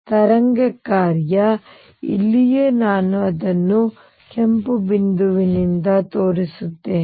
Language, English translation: Kannada, The wave function right here I will show it by red point